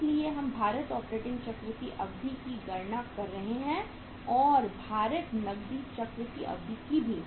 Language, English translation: Hindi, So we are calculating the duration of the weighted operating cycle and the duration of the weighted cash cycle